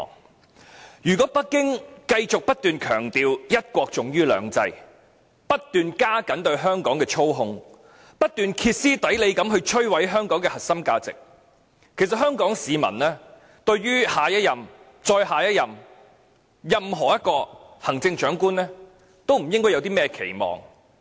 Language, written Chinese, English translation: Cantonese, 但是，如果北京繼續不斷強調一國重於兩制，不斷加強對香港的操控，不斷歇斯底里地摧毀香港的核心價值，其實香港市民對下一任及任何一任的行政長官，都不應抱有任何期望。, But then if Beijing keeps on upholding the importance of one country over two systems tightening its control over Hong Kong and destroying the core values of Hong Kong hysterically Hong Kong people should not hold out any hope for the next Chief Executive or even any Chief Executive in future